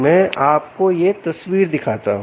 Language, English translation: Hindi, let me show you this picture